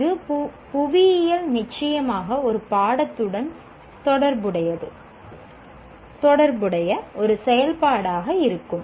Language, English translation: Tamil, This will be an activity related to course in geography